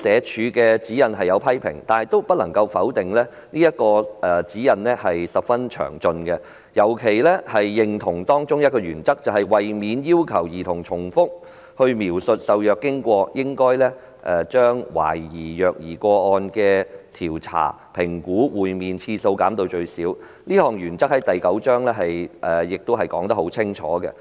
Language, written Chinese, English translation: Cantonese, 主席，儘管如此，不能否定的是，這份指引十分詳盡，我們尤其認同當中一項原則："為免要求兒童重複描述受虐經過，應將懷疑虐兒個案的調查/評估會面次數減至最少"，這項原則清楚載於指引的第九章。, President despite our criticisms it is undeniable that the guidelines has been drawn up in great details and we find one of the principles enshrined therein particularly agreeable . The principle is clearly set out in Chapter 9 of the guidelines and it reads To avoid requiring the children to describe the suspected abuse incidents repeatedly the number of investigativeassessment interview on the suspected abuse incidents should be kept to a minimum